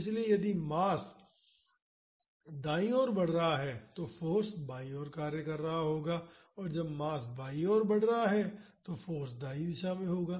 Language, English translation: Hindi, So, if the mass is moving towards right, the force will be acting towards left and when the mass is moving towards left the force will be in the right direction